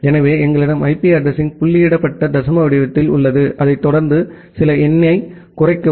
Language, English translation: Tamil, So, we have the IP address in the dotted decimal format followed by slash some number